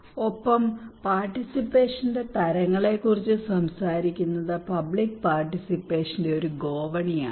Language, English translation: Malayalam, And talking about the types of participations a ladder of public participation